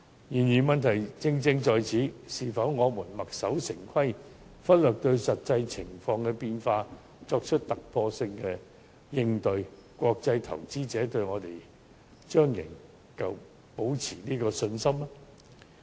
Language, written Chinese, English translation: Cantonese, 然而，這正是問題所在：我們墨守成規，拒絕因應實際情況變化而作出突破性應對，國際投資者對我們還會保持信心嗎？, This however is precisely where the problem lies Will international investors still have confidence in us if we stick to convention and refuse to make groundbreaking countermeasures in response to changes in actual circumstances?